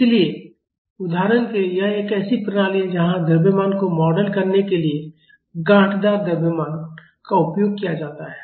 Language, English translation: Hindi, So, for example, this is a system where lumped mass assumption is used to model mass